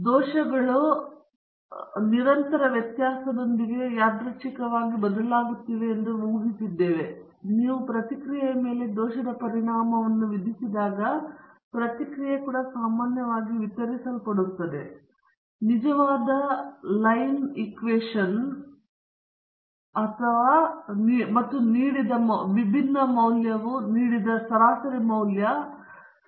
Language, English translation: Kannada, We assumed that the errors are varying randomly with mean 0, and constant variance, so when you super impose the error effect on the response, the response is also normally distributed, but the mean value given by the true line equation and the variance given by sigma squared